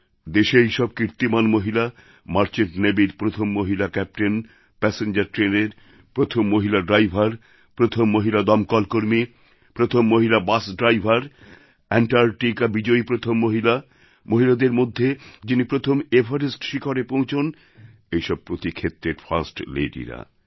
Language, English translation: Bengali, Women achievers of our country… the first female Merchant Navy Captain, the first female passenger train driver, the first female fire fighter, the first female Bus Driver, the first woman to set foot on Antarctica, the first woman to reach Mount Everest… 'First Ladies' in every field